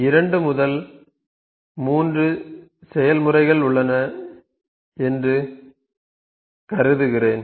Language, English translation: Tamil, Let me consider there are two three processes, ok